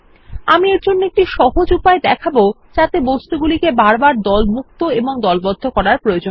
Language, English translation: Bengali, Let me demonstrate a simple way to do this without having to ungroup and regroup the objects